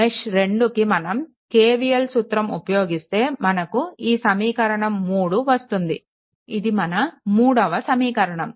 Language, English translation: Telugu, So, accordingly for mesh 2 when you apply KVL, you will get the equation 3 here it is equation 3 you will get